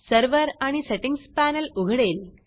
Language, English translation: Marathi, The Server and Settings panel opens